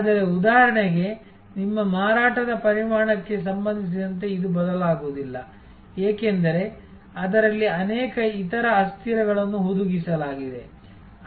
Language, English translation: Kannada, But, it will not vary with respect to your volume of sales for example, because that has many other variables embedded in that